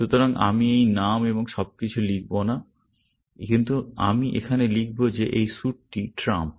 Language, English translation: Bengali, So, I will not write this name and all, but what I will write here is that the suit is trump